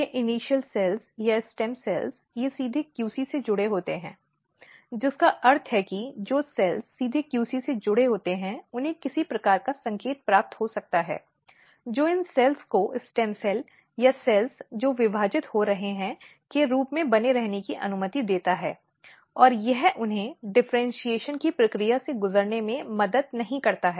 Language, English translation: Hindi, And one important thing here is that and you will also realize later on that all these initial cells or the stem cells, they are directly connected with the QC which means that the cells which are directly connected with the QC they might be receiving some kind of signals which basically allow these cells to remain as a stem cells or the cells which are dividing and it also helps them not undergoing the process of differentiation